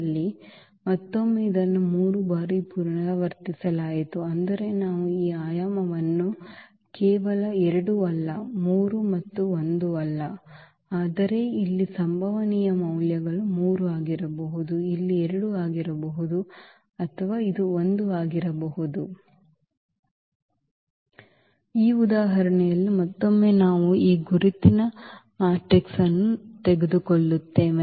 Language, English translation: Kannada, So, again though it was repeated 3 times, but we got only this dimension as 2 not 3 and not 1, but the possible values here could be 3, it could be 2 as this is the case here, but it can be 1 as well